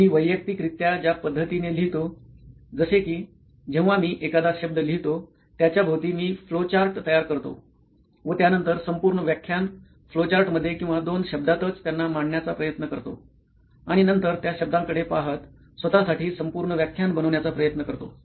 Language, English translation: Marathi, The way I write personally is I write a word I draw flowcharts to around that word, then try to make up the whole lecture in flowcharts or couple of words itself and then make up the whole lecture for myself looking at those words